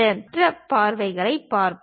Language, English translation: Tamil, Now, let us look at other views